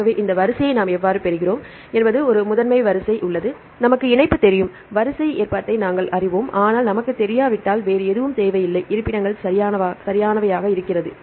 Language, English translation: Tamil, So, this how we get the sequence there is a primary sequence we know the link, we know the sequence arrangement, but we do not need anything else if we do not know the locations right